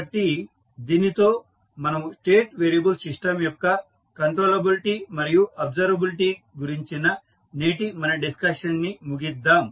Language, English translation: Telugu, So, with this we can close our today’s discussion in which we discuss about the controllability and observability aspect of the State variable system